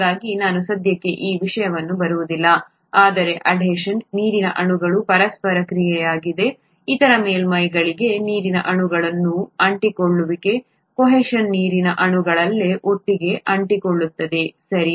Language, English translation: Kannada, So let me not get into this for the time being but adhesion is the interaction of water molecules, the stickiness of water molecules to other surfaces, cohesion is sticking together of water molecules themselves, okay